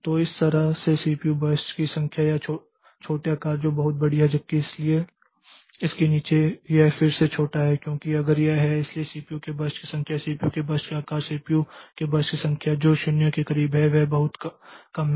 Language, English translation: Hindi, So, that way the number of CPU burst of small size so that is very large whereas so below this again it is small because so if it is so number of CPU bursts size of CPU burst whose are CPU birth size close to 0 so that is also very less so this is but there are some CPU burst which has just slightly higher than 0